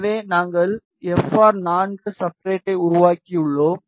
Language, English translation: Tamil, So, we have created the FR4 substrate